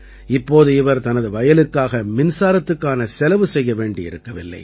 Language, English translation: Tamil, Now they do not have to spend anything on electricity for their farm